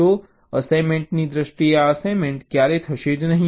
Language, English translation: Gujarati, so, in terms of the assignment, this assignment will never occur, right